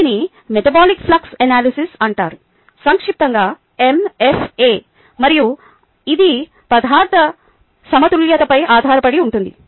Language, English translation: Telugu, its called metabolic flux analysis, mf a for short, and this is based on material balance